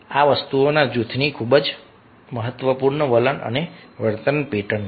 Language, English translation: Gujarati, these things are very, very important: attitude and behavior pattern of the group